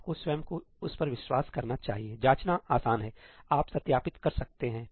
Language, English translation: Hindi, You have to convince yourself of that, itís easy to check, you can verify